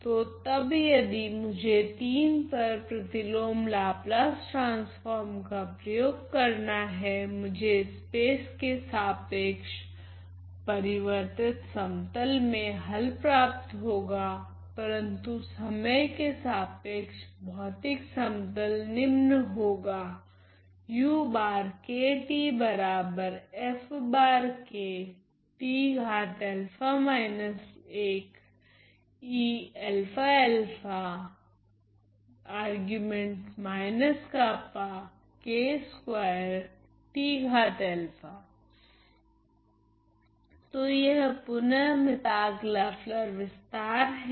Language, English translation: Hindi, So, apply inverse Laplace transform in III I get I get the solution in the transformed plane with respect to space, but the physical plane with respect to time as follows